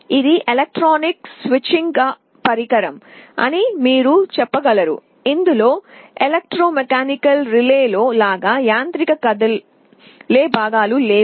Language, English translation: Telugu, This you can say is an electronic switching device, there is no mechanical moving parts like in an electromechanical relay